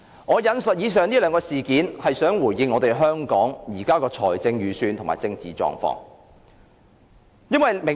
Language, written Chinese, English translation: Cantonese, "我引述以上兩件事件，是想回應香港現時的財政預算及政治狀況。, I quoted the two events in response to Hong Kongs current Budget and political situation